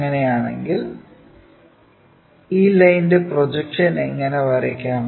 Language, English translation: Malayalam, So, that the projection line is this